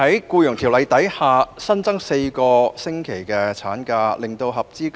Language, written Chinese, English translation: Cantonese, 究竟14個星期的產假是否足夠呢？, Is the 14 - week maternity leave adequate?